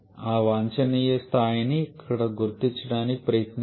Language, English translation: Telugu, And let us try to identify that optimum level here